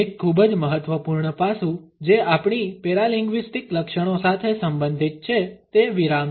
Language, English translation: Gujarati, A very important aspect which is related with our paralinguistic features is pause